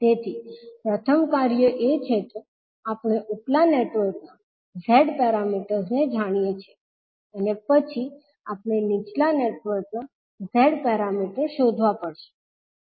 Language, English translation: Gujarati, So first the task is that we know the Z parameters of the upper network, next we have to find out the Z parameters of the lower network